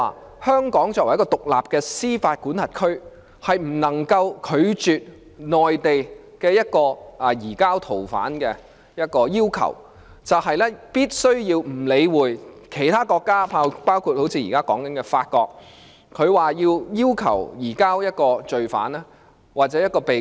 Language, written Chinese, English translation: Cantonese, 即香港作為獨立的司法管轄區，是不能夠拒絕內地任何一項移交逃犯的要求，以致必須忽略其他國家——包括現在談論中的法國——要求移交罪犯或一名被告。, That is as an independent jurisdiction Hong Kong should never reject any request from the Mainland concerning the surrender of a fugitive and it has to ignore the request made by any other foreign country―including France which is under discussion―for the surrender of an accused or convicted person